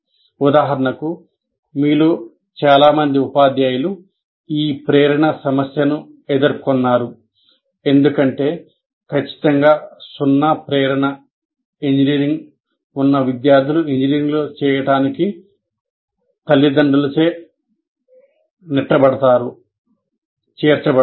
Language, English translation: Telugu, Now, for example, this motivation issue many of you teachers would have experienced because students with absolutely zero motivation engineering are pushed by the parents to do engineering